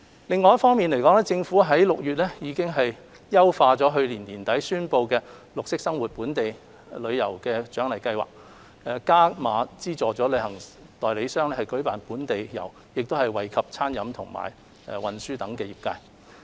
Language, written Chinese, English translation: Cantonese, 另一方面，政府於6月優化去年年底宣布推出的綠色生活本地遊鼓勵計劃，加碼資助旅行代理商舉辦本地遊，並惠及餐飲和運輸等相關業界。, Furthermore the Government enhanced in June the Green Lifestyle Local Tour Incentive Scheme which was announced late last year increasing the incentive for travel agent in organizing local tours and benefiting sectors such as food and beverage and transport